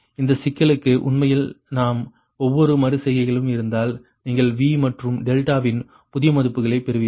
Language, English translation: Tamil, actually, ah, if we, every iteration you will get new values of v and delta, right, and every iteration